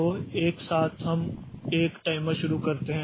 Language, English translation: Hindi, So, simultaneously we start a timer